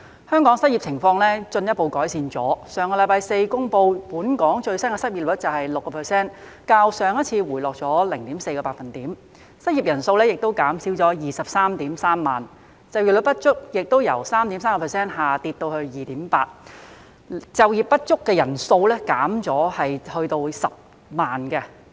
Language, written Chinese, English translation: Cantonese, 香港的失業情況進一步改善，據上星期四公布本港最新的失業率是 6%， 較上次回落 0.4 個百分點，失業人數減少至 233,000 人；就業不足率亦由 3.3% 下跌至 2.8%， 就業不足人數減少至10萬人。, The unemployment situation in Hong Kong has further improved . The latest unemployment rate in Hong Kong as announced last Thursday is 6 % which is 0.4 percentage point lower than the previous figure and the number of the unemployed dropped to 233 000 . The underemployment rate also dropped from 3.3 % to 2.8 % and the number of the underemployed was down to 100 000